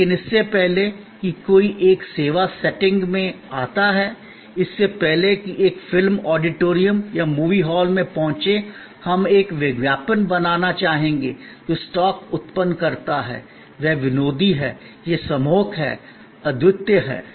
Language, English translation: Hindi, But, even before one comes to the service setting, even before one reaches the movie auditorium or movie hall, we would like to create a advertising that generate stock; that is humorous; that is compelling, unique